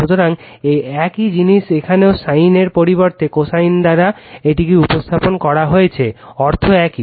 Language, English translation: Bengali, So, same thing is here also instead of sin, we are represent it by cosine, meaning is same right